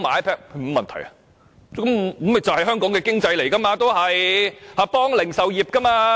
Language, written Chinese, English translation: Cantonese, 這也是刺激香港經濟，協助零售業。, This will also stimulate Hong Kongs economy and help the retail industry